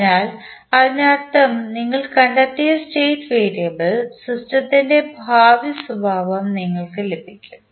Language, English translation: Malayalam, So, that means the state variable which you find will give you the future behaviour of the system